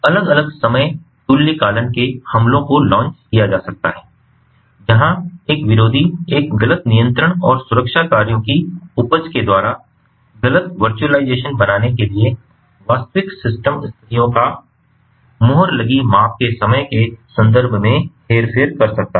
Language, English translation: Hindi, different time synchronization attacks can be launched where an adversary can manipulate the time reference of the time stamped measured phasors to create a false, virtualize ah, a visualization of the actual system conditions there by yielding inaccurate control and protection actions